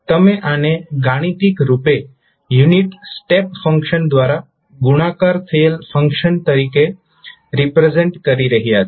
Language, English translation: Gujarati, You are representing this mathematically as a function multiplied by the unit step function